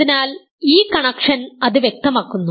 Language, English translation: Malayalam, So, this connection makes it clear that